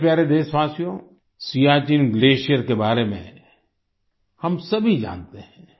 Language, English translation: Hindi, we all know about the Siachen Glacier